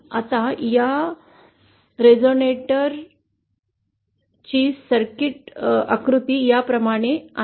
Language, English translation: Marathi, Now the equivalent circuit diagram of this resonator is like this